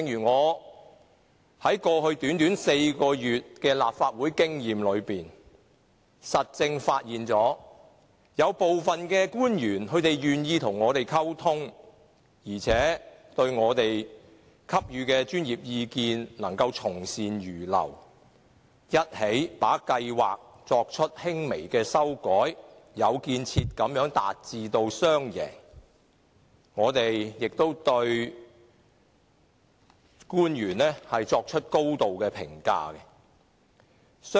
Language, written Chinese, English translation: Cantonese, 我在過去短短4個月的立法會經驗中實證發現，有部分官員願意與我們溝通，而且對我們給予的專業意見從善如流，一起把計劃作出輕微修改，有建設地達致雙贏，我們對官員作出高度評價。, In my actual experience in the Legislative Council for a short period of the past four months I notice that certain government officials were willing to communicate with us and they would heed our professional views to make minor amendments to projects as a joint effort thus achieving a win - win situation in a constructive manner . We accord commendation to these government officials